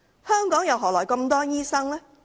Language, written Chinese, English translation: Cantonese, 香港又何來這麼多醫生呢？, How will there be so many medical practitioners in Hong Kong?